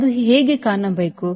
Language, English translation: Kannada, how should it look like